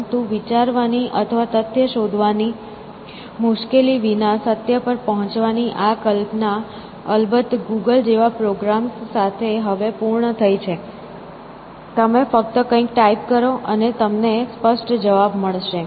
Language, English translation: Gujarati, But, this notion of arriving at truth without the trouble of thinking or fact finding, of course, has been fulfilled now with programs like google and so on; just have typing something and you get answer obviously